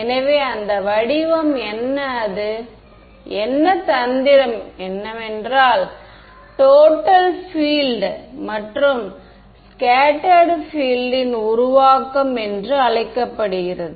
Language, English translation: Tamil, So, what is that form what is that trick is what is called the total field and scattered field formulation right